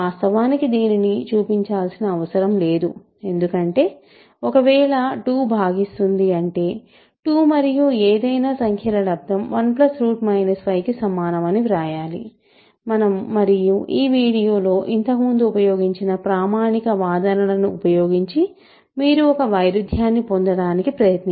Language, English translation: Telugu, In fact, this is not to show because if divides you write 2 times 2 as, 2 times something equals 1 plus square root minus 5 and you use your standard arguments that we have used earlier in this video to get a contradiction